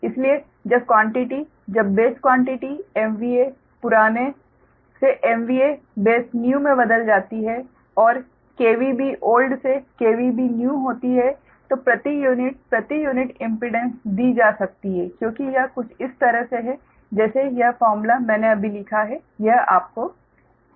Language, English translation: Hindi, so when quantities, when base quantities are change from m v a old to m v a base new, and from k v b old to k b v new, the new per unit pet unit impedance can be given, as it is something like this that suppose, ah, this formula i have written just now